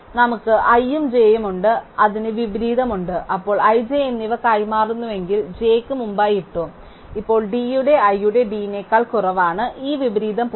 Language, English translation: Malayalam, So, we have i and j which has an inversion, then if we exchange i and j that is we put j before i, then now d of j is less than d of i and this inversion is gone